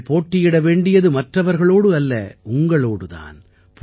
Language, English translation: Tamil, You have to compete with yourself, not with anyone else